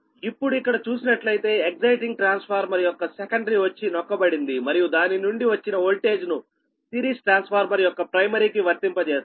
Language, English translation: Telugu, now, if you come here, right, the secondary of the exciting transformer is tapped and the voltage obtained from it is applied to the primary of the series transformer